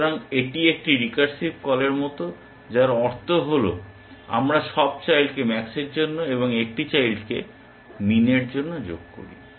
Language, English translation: Bengali, So, it is like a recursive call which means we add all children for max and one child for min